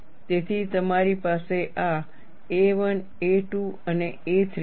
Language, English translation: Gujarati, So, you have this as a 1, a 2 and a 3